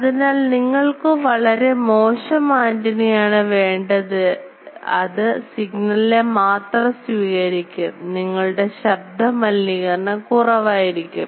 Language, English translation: Malayalam, So, you should have a very poor ah antenna to receive the signal because then your noise will be less